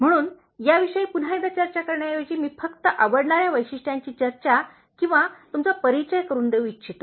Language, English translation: Marathi, So instead of discussing these ones once again, I just want to discuss or make you identify likeable traits and tell you